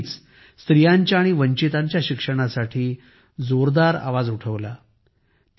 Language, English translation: Marathi, She always raised her voice strongly for the education of women and the underprivileged